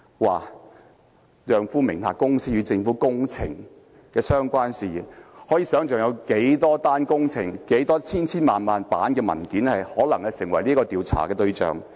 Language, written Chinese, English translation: Cantonese, 她的丈夫名下公司與政府工程的相關事宜，可以想象會有多少宗工程，以及成千上萬份文件可能成為調查對象。, As one can imagine a probe into the public works - related matters of the company under her husbands name may entail looking into a large number of projects and going through thousands of documents